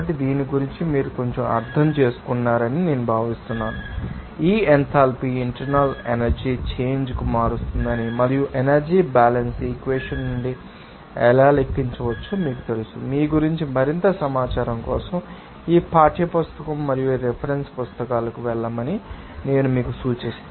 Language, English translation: Telugu, So, I think you understood a little bit about this you know this enthalpy change an internal energy change and how it can be calculated from the energy balance equation, I would suggest you to go to this textbook and reference books for more information about those you know, thermodynamic properties